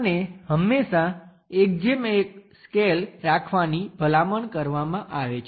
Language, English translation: Gujarati, And it is always recommended to go with 1 is to 1 scale